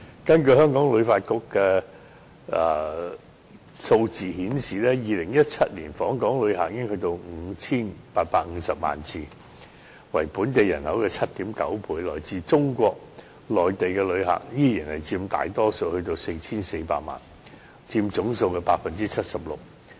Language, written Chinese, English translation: Cantonese, 根據香港旅遊發展局的數字顯示 ，2017 年訪港旅客達到 5,850 萬人次，為本地人口的 7.9 倍，其中來自中國內地的旅客依然佔大多數，超過 4,400 萬，佔總數的 76%。, According to the statistics of the Hong Kong Tourism Board the number of visitor arrivals in Hong Kong reached 58.5 million in 2017 which was 7.9 times the local population . Visitors from Mainland China still account for the majority exceeding 44 million and accounting for 76 % of the total